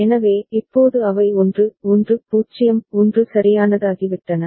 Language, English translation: Tamil, So, now they become 1 1 0 1 right